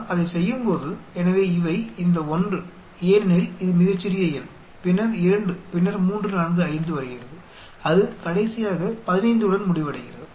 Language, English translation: Tamil, When we do that, so these the 1 because this is the smallest number, then comes 2 then 3, 4, 5 like that it go on finally we end up with 15